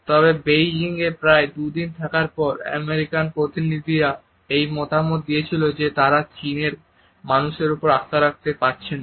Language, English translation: Bengali, However, after about two days of a spending in Beijing, American delegation give the feedback that they do not find the Chinese to be trust for the people